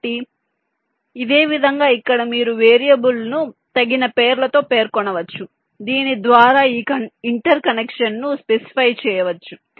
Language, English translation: Telugu, so in this same way, here you can specify the variable names appropriately so that this interconnection can be specified